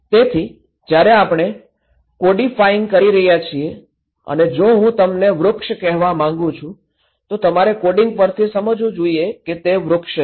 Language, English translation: Gujarati, So, when we are codifying, if I want to say you tree, you should understand after the coding is as tree, okay